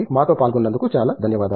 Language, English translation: Telugu, Thank you so much for joining us